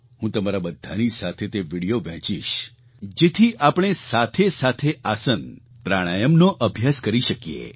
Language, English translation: Gujarati, I will share these videos with you so that we may do aasans and pranayam together